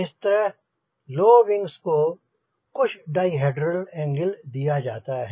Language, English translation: Hindi, so these low wings are given some di hedral angle